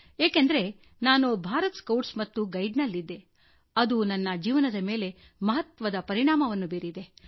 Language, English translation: Kannada, I state this from my own experience because I have served in the Bharat Scouts and Guides and this had a very good impact upon my life